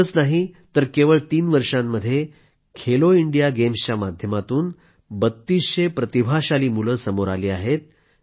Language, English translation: Marathi, Not only this, in just three years, through 'Khelo India Games', thirtytwo hundred gifted children have emerged on the sporting horizon